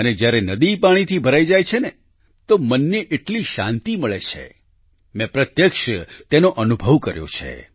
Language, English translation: Gujarati, And truly, when a river is full of water, it lends such tranquility to the mind…I have actually, witnessed the experience…